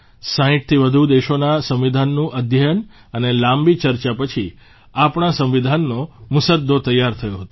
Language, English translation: Gujarati, The Draft of our Constitution came up after close study of the Constitution of over 60 countries; after long deliberations